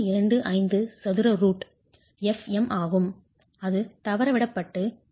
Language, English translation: Tamil, 125 square root of fm